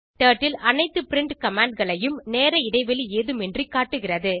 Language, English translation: Tamil, Turtle displays all print commands without any time gap